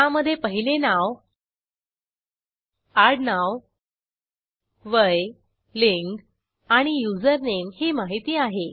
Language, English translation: Marathi, It has all the details like First Name, Surname, Age, Gender and Username